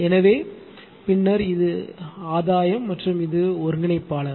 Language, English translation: Tamil, So, and then this is the gain and this is the integrator